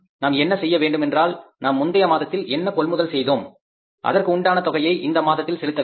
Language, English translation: Tamil, And in that regard, what we have to do is we have to find out that what we purchased in the previous month we have to pay for that in the current month that is 100%